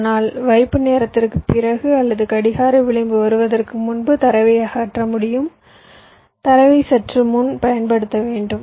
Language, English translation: Tamil, you can remove the data only after the hold time and before the clock edge comes, you must apply the data a little before